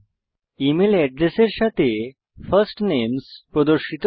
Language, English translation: Bengali, The First Names along with the email address are displayed